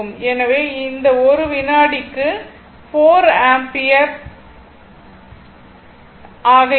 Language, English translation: Tamil, So, it will be 4 ampere per second right